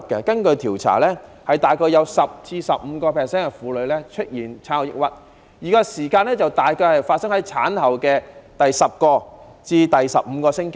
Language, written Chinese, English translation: Cantonese, 根據調查，大概有 10% 至 15% 的婦女出現產後抑鬱，而發生時間大概在產後的第十至十五個星期。, According to the result of a survey about 10 % to 15 % of women have suffered from postpartum depression which usually occurs at any time from the tenth to the fifteenth week after giving birth